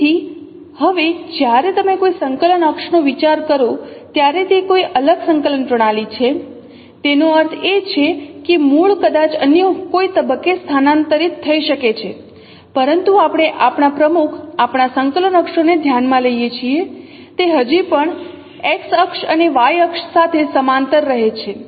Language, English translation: Gujarati, Now, so when you consider a coordinate axis, when it is a different coordinate system, that means origin may be shifted at some other point, but we may consider our principle, our coordinate axis, they still remain parallel to x axis and y axis